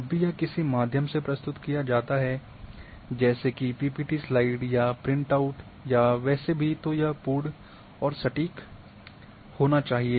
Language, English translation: Hindi, Whenever it is presented to anybody either through PPT slides or printouts or anyway it should be very complete and accurate as well